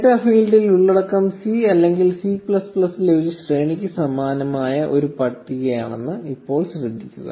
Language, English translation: Malayalam, Now notice that the content present in the data field is a list which is similar to an array in C or C++